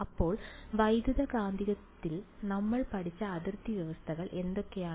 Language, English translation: Malayalam, So, what are the boundary conditions that we have studied in the electromagnetic